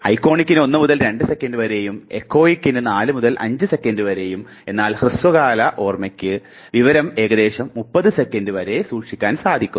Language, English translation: Malayalam, Iconic just 1 to 2 seconds, echoic just 4 to 5 seconds, but short term can store information for approximately 30 seconds